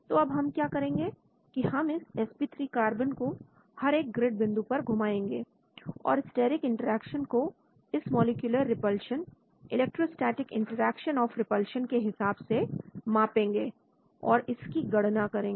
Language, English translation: Hindi, so what we do is we move this sp3 carbon at each of this grid points and measure the steric interaction with this molecular repulsion, electrostatic interaction of repulsion and calculate it